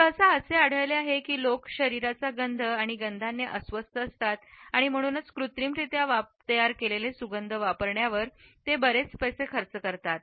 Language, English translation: Marathi, It is normally found that people are uncomfortable with body odors and smells and therefore, they spend a lot of money on wearing artificially created scents